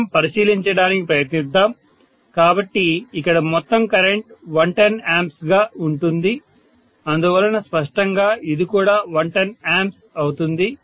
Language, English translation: Telugu, Let us try to take a look, so the total current here is going to be 110 ampere, so clearly this will also be 110 ampere, are you getting my point